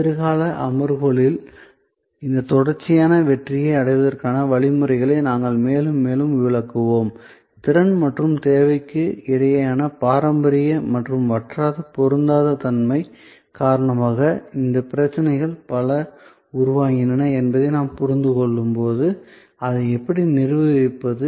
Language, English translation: Tamil, We will illustrate more and more, our ways to achieve these continuous success through in future sessions, when we understand that many of these problems are generated due to the traditional or perennial mismatch between capacity and demand, so how do we manage that